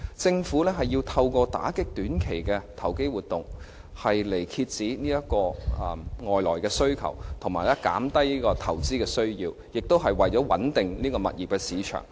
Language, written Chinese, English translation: Cantonese, 政府要透過打擊短期的投機活動，來遏止外來需求，以及減低投資需要，亦是為了穩定物業市場。, The Government had to suppress non - local demands reduce investment needs as well as stabilize the property market by way of combatting short - term speculation activities